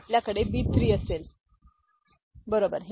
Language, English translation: Marathi, So, we shall have B 3, right